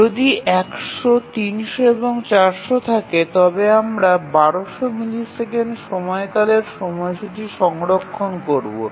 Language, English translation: Bengali, So, if we have 100, 300 and let's say 400, then we need to store the period the schedule for a period of 1,200 milliseconds